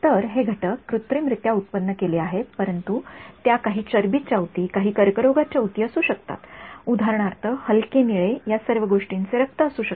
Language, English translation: Marathi, So, those components these are synthetically generated, but they could correspond to something you know some fact tissue and cancerous tissue the light blue could be for example, blood all of these things